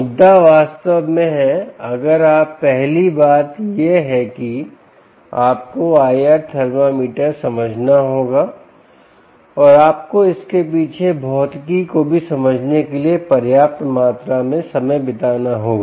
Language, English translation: Hindi, the point really is, if you first thing is, you have to understand the i r thermometer and you have to spend sufficient amount of time trying to understand the physics behind it as well